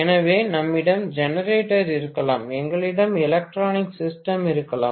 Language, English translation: Tamil, So, we may have generator, we may have electronic system